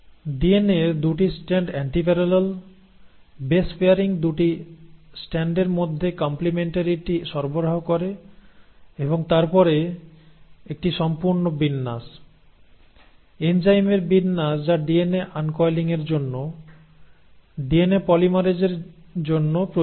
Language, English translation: Bengali, The 2 strands of DNA are antiparallel, the base pairing provides the complementarity between the 2 strands and then you have a whole array, array of enzymes which are required for uncoiling of the DNA, for polymerisation of DNA